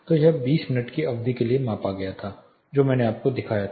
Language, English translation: Hindi, So, this was measured for 20 minutes duration that I showed you